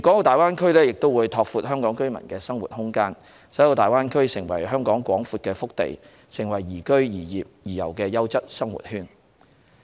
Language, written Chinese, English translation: Cantonese, 大灣區亦會拓闊香港居民的生活空間，使大灣區成為香港廣闊的腹地，成為宜居、宜業、宜遊的優質生活圈。, The Greater Bay Area will expand the living space of Hong Kong residents and become a vast hinterland for Hong Kong and a quality living circle that is suitable for living working and tourism